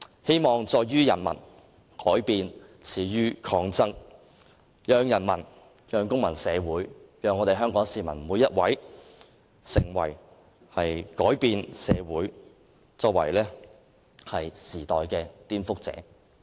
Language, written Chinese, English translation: Cantonese, "希望在於人民，改變始於抗爭"，讓人民、讓公民社會、讓每一位香港市民成為改變社會和時代的顛覆者。, Hopes lie with the people; changes start from resistance . Let the people civil society and every Hong Kong citizen be the subverter of society and of this era